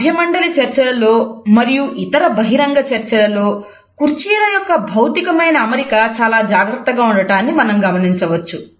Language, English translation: Telugu, In panel discussions as well as another public discussions we find that the physical arrangement of seating is very meticulously designed